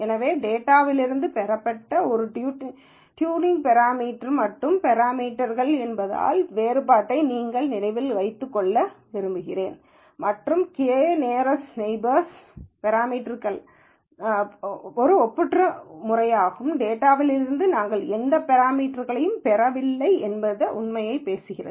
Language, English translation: Tamil, So, I want you to remember the distinction between a tuning parameter and parameters that are derived from the data and the fact that k nearest neighbor is a nonparametric method, speaks to the fact that we are not deriving any parameters from the data itself